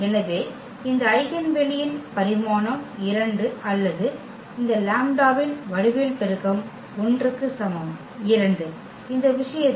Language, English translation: Tamil, So, the dimension of this eigen space is 2 or the geometric multiplicity of this lambda is equal to 1 is 2, in this case